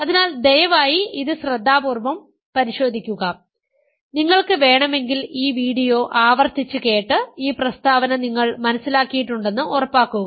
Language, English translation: Malayalam, So, please go over this carefully, repeat this video if you want and make sure that you understand this statement